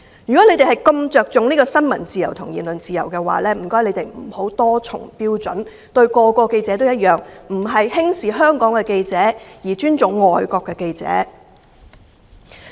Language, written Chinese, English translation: Cantonese, 如果你們如此着重新聞自由和言論自由，請不要多重標準，對每個記者也要一樣，不要輕視香港的記者，而尊重外國的記者。, If opposition Members attach such great importance to freedom of the press and freedom of speech please do not hold double standards and treat all journalists equally . Do not look down upon Hong Kong journalists while respecting foreign journalists